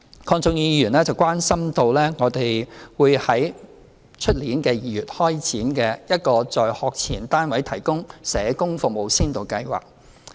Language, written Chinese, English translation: Cantonese, 鄺俊宇議員關心明年2月開展的"在學前單位提供社工服務先導計劃"。, Mr KWONG Chun - yu is concerned about the Pilot Scheme on Social Work Service for Pre - primary Institutions which will be launched in February next year